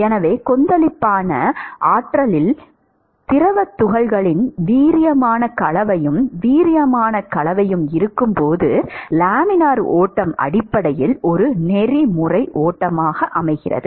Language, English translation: Tamil, So, laminar flow is essentially a streamline flow while there is vigorous mixing, vigorous mixing of fluid particles in the turbulent regime